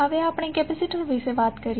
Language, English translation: Gujarati, Now, let us talk about the capacitor